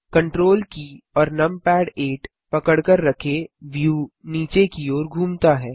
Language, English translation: Hindi, Hold Ctrl numpad 8 the view pans downwards